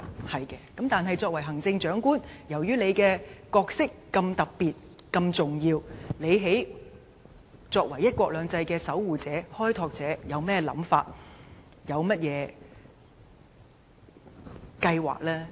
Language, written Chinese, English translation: Cantonese, 她說得對，但由於行政長官的角色如此特別和重要，作為"一國兩制"的守護者和開拓者，她有何想法和計劃呢？, She is right but since the role of the Chief Executive is so special and important what are her ideas and plans as the guardian and pioneer of one country two systems?